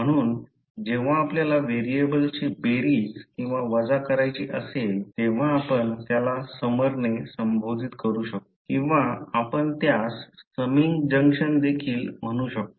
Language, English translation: Marathi, So, when you want to add or subtract the variables you represent them by a summer or you can also call it as summing junction